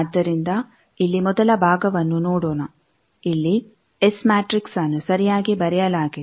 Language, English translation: Kannada, So, let us see the first part that here it is correctly written the S matrix